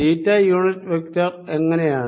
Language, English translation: Malayalam, how about the unit vectors